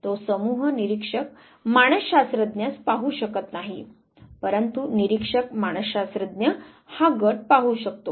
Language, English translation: Marathi, The group cannot see the observer, the psychologist but the observer psychologist can see the group